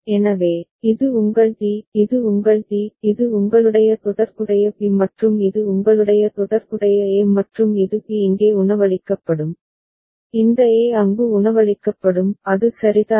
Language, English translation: Tamil, So, this is your D; this is your D; this is your corresponding B and this is your corresponding A and this is B will be fed here and this A will be fed there; is it fine right